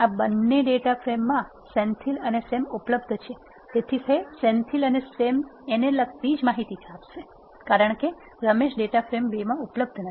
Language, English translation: Gujarati, In this 2 data frames we have Senthil and Sam present, it will print only the data that is corresponding to the Senthil and Sam, because Ramesh is not available in this data frame 2